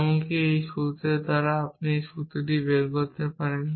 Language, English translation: Bengali, Even this formula we can derive this formula, given this you can derive this